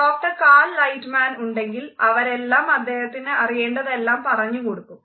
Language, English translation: Malayalam, With the Doctor Cal Lightman they tell him everything he needs to know